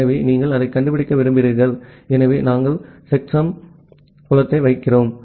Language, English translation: Tamil, So, you want to find out that, so that is when we put the checksum field